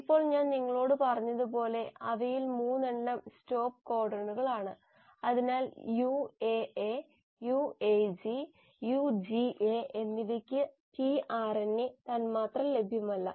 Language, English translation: Malayalam, Now among the codons as I told you, 3 of them are stop codons, so for UAA, UAG and UGA there is no tRNA molecule available